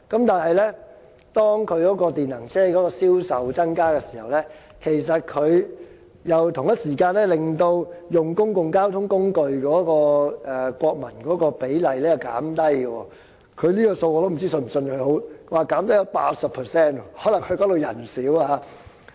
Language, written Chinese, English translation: Cantonese, 但是，當電能車的銷售增加時，其實同一時間也令其國民使用公共交通工具的比例減低——這個數字，我也不知道是否應該相信——減低了 80%， 可能因為當地人少。, Yet as the sales of EVs goes up the proportion of the public taking public transport decreases correspondently . Another study I have seen online says the usage of public transport in Norway has thus dropped drastically by 80 % . I am not sure if this figure is believable